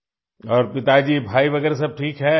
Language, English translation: Hindi, Yes, and are father, brother and others all fine